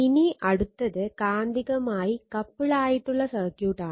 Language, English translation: Malayalam, Now, next is magnetically coupled circuit